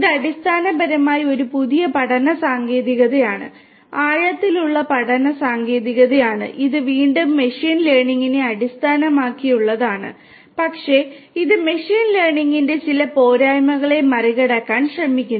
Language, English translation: Malayalam, This, this is basically where this is a new learning technique, the deep learning technique which is again based on machine learning, but it tries to overcome some of the some of the drawbacks of the, limitations of machine learning